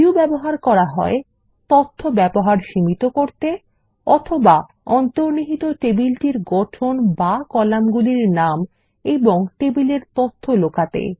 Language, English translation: Bengali, Views can be used to allow limited access Or hide the structure and names of the underlying table columns and table data